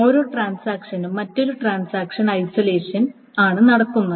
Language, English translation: Malayalam, So each transaction is apparently happening in isolation of the other transaction